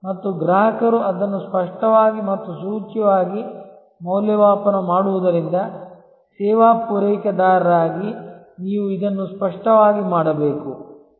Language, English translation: Kannada, And since the customer evaluates that explicitly and implicitly, you as a service provider must do this very explicitly